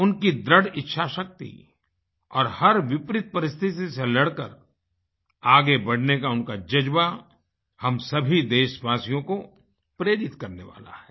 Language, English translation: Hindi, Their grit & determination; their resolve to overcome all odds in the path of success is indeed inspiring for all our countrymen